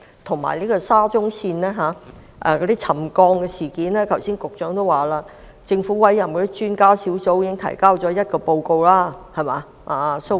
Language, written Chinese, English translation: Cantonese, 至於沙中線的沉降事件，如果我沒有聽錯，局長剛才表示政府委任的專家小組已提交一份報告。, As to the settlement incidents of SCL if I have not got it wrong the Secretary indicated just now that the Expert Adviser Team appointed by the Government had submitted a report